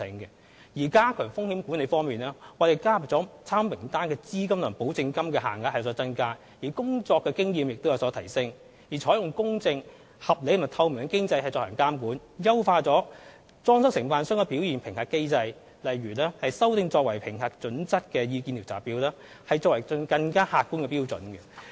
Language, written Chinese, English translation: Cantonese, 在加強風險管理方面，當局提高了欲加入參考名單的承辦商的資金及保證書的金額，以及工程經驗的要求，並採用公正、合理及透明的機制進行監管，以及優化裝修承辦商的表現評核機制，例如修訂作為評核準則的意見調查表，以提供更客觀的標準。, As regards stepping up risk management the authorities raised the required amounts of capital and surety bond for DCs intending to be included in the Reference List as well as the required years of experience in decoration works while adopting a fair reasonable and transparent mechanism for monitoring and also optimizing the performance assessment mechanism for DCs such as revising the survey form which serves as an assessment criterion to provide a more objective basis